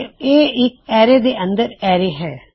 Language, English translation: Punjabi, So it is an array inside an array